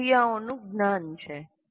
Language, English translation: Gujarati, That is knowledge of the tasks